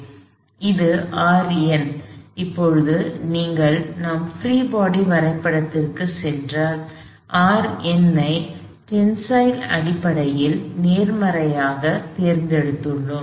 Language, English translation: Tamil, So, this is R n, now if you go back to our free body diagram we had chosen R n in a tensile sense to be positive